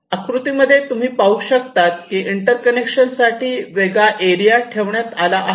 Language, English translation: Marathi, now you see, in this diagram you have kept a separate area for the interconnections